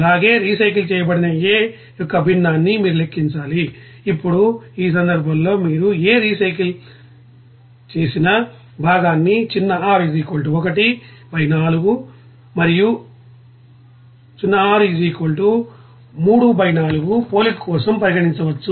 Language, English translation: Telugu, And also, you have to calculate that the fraction of A that is recycled, now in this case you can consider that fraction of A recycled is r = 1 by 4 and r = 3 by 4 for a comparison